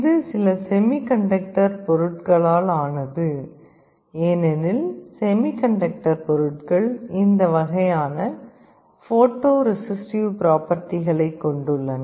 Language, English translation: Tamil, Internally it is made out of some semiconductor material, because semiconductor materials have this kind of photo resistive property